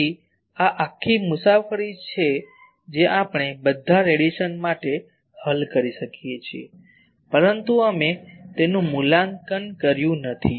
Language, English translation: Gujarati, So, this is the whole journey that we can solve for the all radiation, but we have not evaluated these